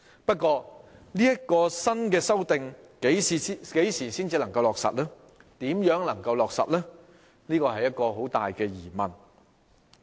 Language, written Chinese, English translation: Cantonese, 不過，這項新修訂何時才能落實、如何落實是很大的疑問。, That said when and how the revision can be implemented is still a great uncertainty